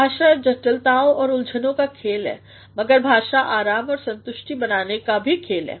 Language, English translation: Hindi, Language is a game of complexities and complications, but the language is also a game of creating ease and satisfaction